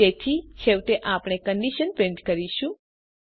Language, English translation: Gujarati, So finally, we print the condition